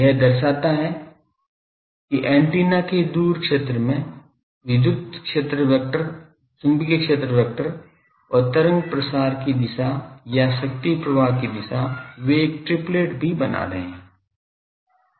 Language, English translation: Hindi, It shows that in the far field of an antenna the electric field vector, magnetic field vector and the direction of wave propagation, or direction of power flow, they are also forming a triplet